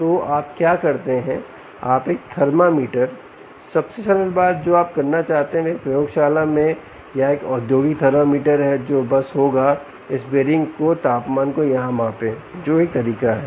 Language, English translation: Hindi, simplest thing that you want to do is a lab or a industrial thermometer which will simply measure the temperature of this bearing here